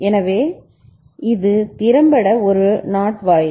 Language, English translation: Tamil, So, this is effectively a NOT gate